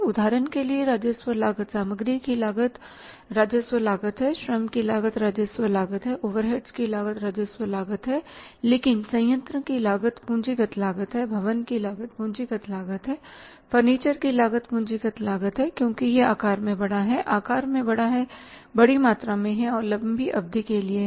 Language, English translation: Hindi, For example revenue cost, the cost of material is the revenue cost, cost of the labor is the revenue cost, cost of the overheads is the revenue cost but cost of the plant is the capital cost, cost of the building is the capital cost, cost of the furniture is the capital cost because it is a huge in size, large in size, large in amount and for the longer duration